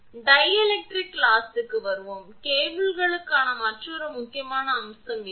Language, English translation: Tamil, Next, we will come to the dielectric loss; this is another important aspect for the cables